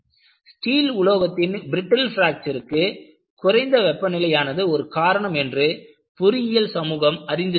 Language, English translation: Tamil, The engineering community was clueless that low temperature can cause brittle fracture of steel